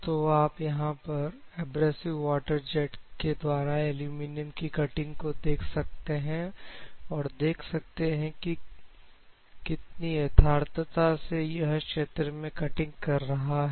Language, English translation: Hindi, Now, you can clearly see the aluminum material cut by the abrasive water jets and you can see the how precisely it is cutting here in this region